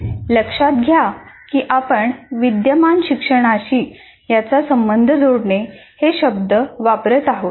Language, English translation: Marathi, Note that we are using the words linking it with existing learning